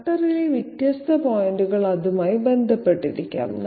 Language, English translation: Malayalam, Different points on the cutter might be in contact with that